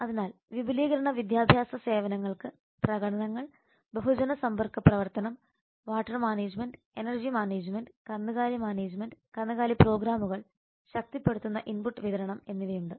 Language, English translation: Malayalam, so the extension education services have the demonstrations mass contact activity have the water management energy management livestock management livestock programs and the strengthening input supply